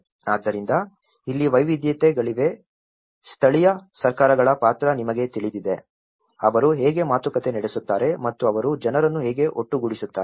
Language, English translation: Kannada, So, that is where, here there is diversities, local governments role you know, how they negotiate and how they bring the people together